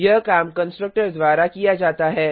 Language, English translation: Hindi, This work is done by the constructor